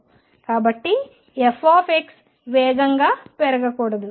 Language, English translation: Telugu, So, f x should not increase faster